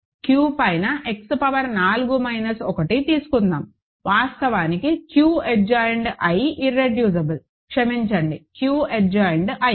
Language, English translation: Telugu, Let us take X power 4 minus 1 over Q is actually Q adjoined root irreducible, sorry Q adjoined i